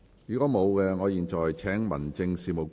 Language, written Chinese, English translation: Cantonese, 如果沒有，我現在請民政事務局局長答辯。, If not I now call upon the Secretary for Home Affairs to reply